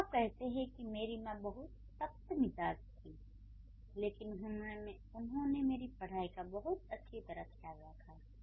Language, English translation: Hindi, So, when you say, let's say, my mother was very strict, but she took care of my studies very well